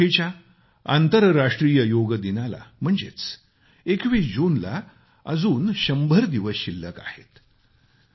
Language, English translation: Marathi, Less than a hundred days are now left for the International Yoga Day on 21st June